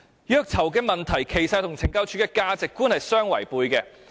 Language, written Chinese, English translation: Cantonese, 虐囚問題其實與懲教署的價值觀相違背。, The torture of prisoners in fact violates CSDs values